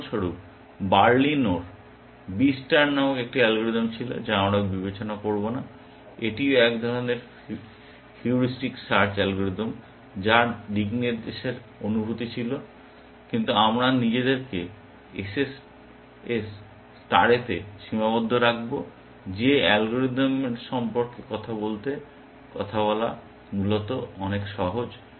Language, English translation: Bengali, For example, Berlino had a algorithm called B star, which we will not consider, which is also a kind of a heuristic search algorithm which had a sense of direction, but we will limit ourselves to the SSS star, which is a much simpler algorithm to talk about essentially